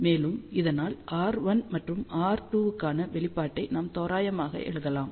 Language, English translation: Tamil, And, if this is the case we can approximately write expression for r 1 and r 2